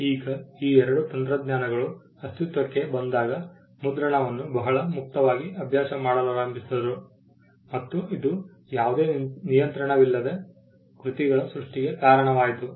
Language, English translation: Kannada, Now when these two technologies came into being printing began to be practiced very freely and it lead to creation of works which without any control